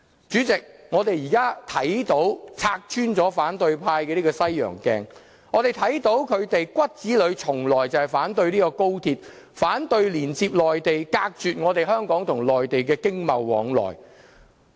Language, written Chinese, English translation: Cantonese, 主席，我們現在拆穿了反對派的西洋鏡，我們看到他們骨子裏從來就是反對高鐵，反對連接內地，隔絕香港與內地的經貿往來。, President we have just exploded the hypocrisy of the opposition camp . Now we can see deep down from their hearts they are against the XRL and the Hong Kong - Mainland connection as well . They just seek to cut off the economic and trade exchanges between the two